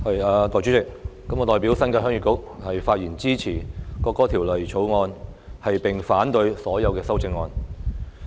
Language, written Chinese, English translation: Cantonese, 代理主席，我代表新界鄉議局發言支持《國歌條例草案》，並反對所有修正案。, Deputy Chairman on behalf of the New Territories Heung Yee Kuk I speak in support of the National Anthem Bill the Bill and in opposition to all the amendments